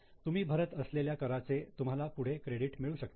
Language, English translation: Marathi, The amount which you are paying, you can get credit later on